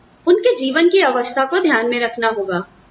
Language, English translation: Hindi, You need to keep, their life stage in mind